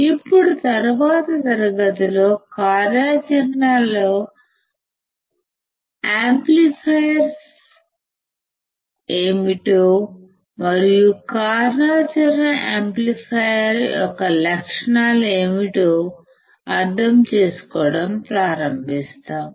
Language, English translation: Telugu, Now, in the next class we will start understanding what the operational amplifiers are, and what are the characteristics of the operational amplifier